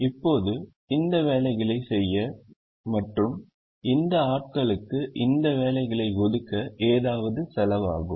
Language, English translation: Tamil, now this to to carry out these jobs, it's going to cost something to allocate these jobs to these people